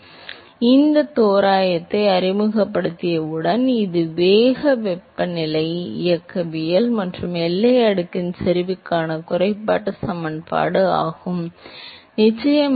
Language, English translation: Tamil, So, once you introduce those approximation, this is the reduced equation that you will get for the dynamics of the velocity temperature and the concentration of the boundary layer of course, dP by dy is 0